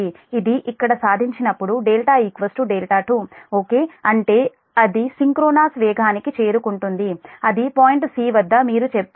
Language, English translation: Telugu, when it achieves here delta is equal to delta two, right that it it reaches to synchronous speed, that is your say at point c